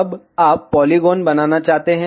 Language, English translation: Hindi, Now, you want to make the polygon